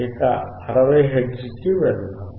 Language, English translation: Telugu, Let us go to 60 hertz